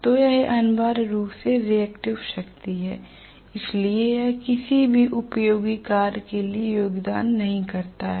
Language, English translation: Hindi, So that is essentially the reactive power, so it does not go or contribute towards any useful work